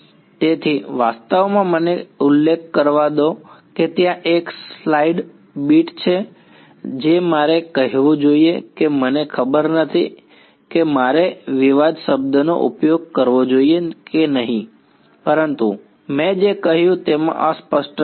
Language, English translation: Gujarati, So, actually let me mention there is a slide bit of I should say I do not know if I should use the word controversy, but ambiguity in what I said